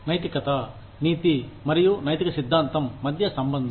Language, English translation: Telugu, Relationship between moralit, ethics and ethical theory